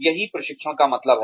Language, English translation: Hindi, That is what training means